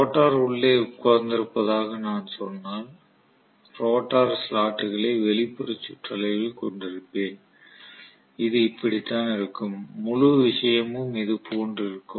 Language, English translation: Tamil, So if I say the rotor is sitting inside I am going to have the rotor essentially having slots in the outer periphery somewhat like this, this is how it is going to be and the entire thing is completed like this